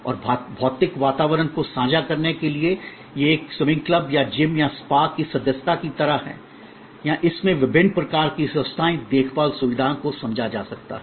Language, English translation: Hindi, And access to share physical environment, this is like membership of a swimming club or gym or spa or various kinds of health care facilities can be understood in this